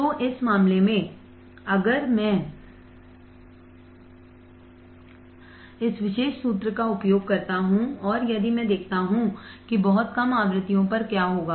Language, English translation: Hindi, So, in this case, if I use this particular formula and if I see that at very low frequencies what will happen